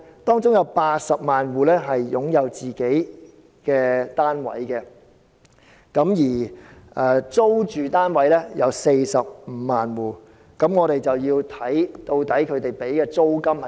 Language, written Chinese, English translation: Cantonese, 當中有80萬戶擁有自己的單位，而租住單位有45萬戶，我們便要看他們支付的租金金額？, There are 800 000 households living in self - owned units and 450 000 households in rented units . We have to look at the rent they are paying